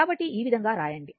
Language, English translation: Telugu, So, this way you can write